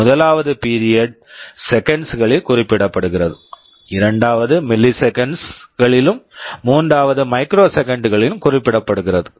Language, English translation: Tamil, The first one specifies the time period in seconds, second one specifies in milliseconds, third one in microseconds